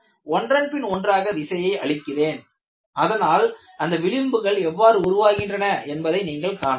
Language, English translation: Tamil, And I would also apply the load one after another, and you would see how the fringes develop